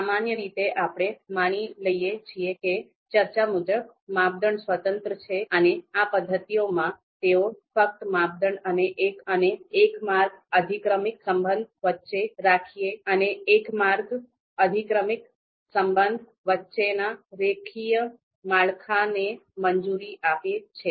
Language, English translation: Gujarati, Typically, we assume that criteria are independent as I talked about and what happen you know happens in these methods is they typically allow only for the linear structure between criteria and one way hierarchical relationship